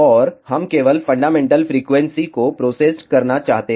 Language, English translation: Hindi, And, we wish to process only the fundamental frequency